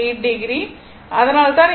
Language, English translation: Tamil, 8 degree that is why this voltage is 42